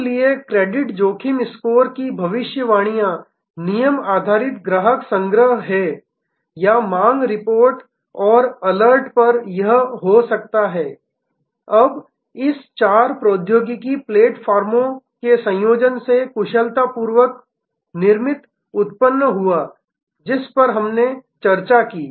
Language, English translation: Hindi, So, predictive metrics of credit risk scores are rule based customer collection or on demand reports and alerts this can be, now generated much better with the combination of this four technology platforms, that we discussed